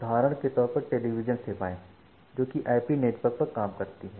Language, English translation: Hindi, So, for example, television service over IP network